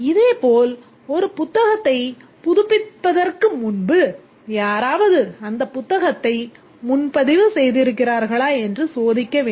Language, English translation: Tamil, Similarly before a book can be renewed needs to be checked whether somebody has reserved that book